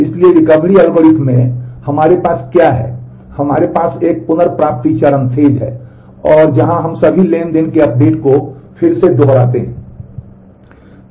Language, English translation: Hindi, So, in the Recovery Algorithm, what we do we have a recovery phase and where we replay updates of all transactions